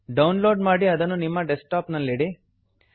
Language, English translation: Kannada, Download and save it on your Desktop